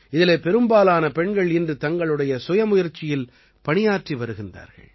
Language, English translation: Tamil, Most of these women today are doing some work or the other on their own